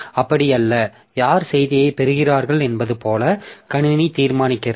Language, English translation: Tamil, It may so happen that the system decides like who gets the, who gets the message